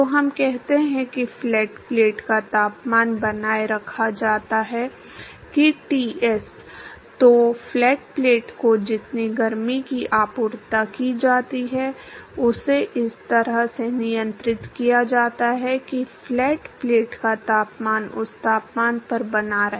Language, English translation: Hindi, So, the amount of heat that is supplied to the flat plate, it is controlled in such way that the temperature of flat plate is maintained that temperature Ts